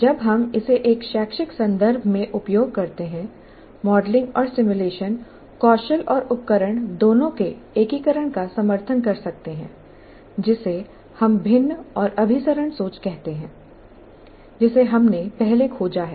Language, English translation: Hindi, When we use it in educational context, modeling and simulation skills and tools can further support the integration of both what you call divergent and convergent thinking, which you have explored earlier